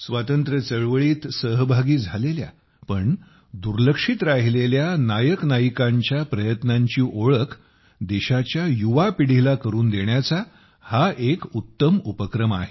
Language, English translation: Marathi, This is a great initiative to acquaint the younger generation of the country with the efforts of unsung heroes and heroines who took part in the freedom movement